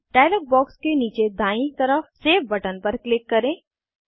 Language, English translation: Hindi, Now, click on the Save button at the bottom right of the dialog box